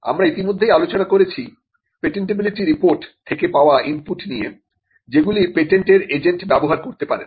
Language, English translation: Bengali, We have already covered that there are inputs that a patent agent would get from the patentability report which could be used